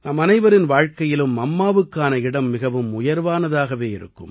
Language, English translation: Tamil, In the lives of all of us, the Mother holds the highest stature